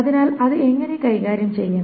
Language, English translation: Malayalam, So how to handle that